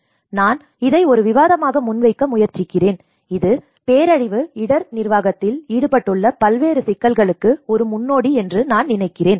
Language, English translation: Tamil, So, I just try to present it as a discussion and I think this will give you an eye opening for variety of issues which are involved in the disaster risk management